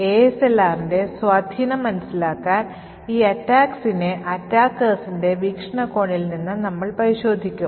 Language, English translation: Malayalam, So, in order to understand the impact of ASLR, we would look at these attacks from the attackers prospective